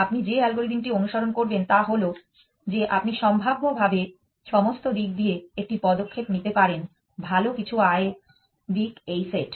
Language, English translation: Bengali, The algorithm that you would follow is that you would pose possibly take a step in all direction well some income this set of direction